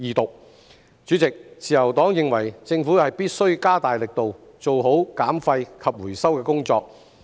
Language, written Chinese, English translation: Cantonese, 代理主席，自由黨認為政府必須加大力度，做好減廢及回收的工作。, Deputy President the Liberal Party reckons that the Government must step up its efforts to improve waste reduction and recycling